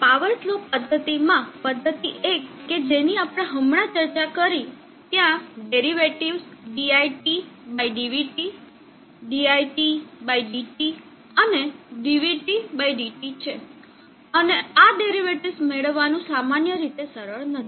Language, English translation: Gujarati, In the power slope method 1that we discussed there are derivatives dit/dvt, dit/dtr, dvt/dt, and it is generally not easy to obtain derivatives